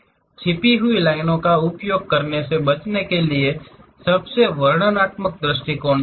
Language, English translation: Hindi, To avoid using hidden lines, choose the most descriptive viewpoint